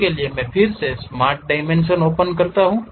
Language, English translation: Hindi, For that again I can use smart dimension